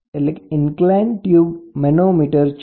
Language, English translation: Gujarati, So, this is an inclined type tube type manometer